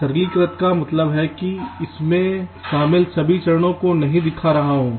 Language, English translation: Hindi, simplistic means i am not showing all this steps involved